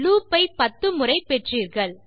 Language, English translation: Tamil, Youve got your loop ten times